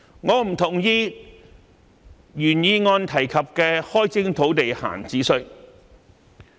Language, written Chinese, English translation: Cantonese, 我不同意原議案開徵土地閒置稅的建議。, I do not agree with the introduction of an idle land tax proposed in the original motion